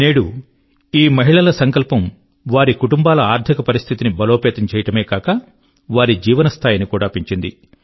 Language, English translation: Telugu, Today, due to the resolve of these women, not only the financial condition of their families have been fortified; their standard of living has also improved